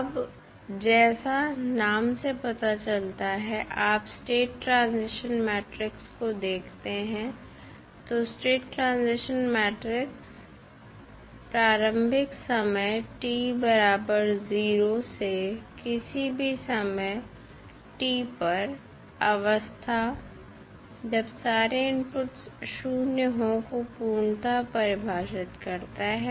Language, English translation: Hindi, Now, as the name applies, you see the state transition matrix, so the state transition matrix completely defines the transition of the state from the initial time t is equal to 0 to any time t when the inputs are zero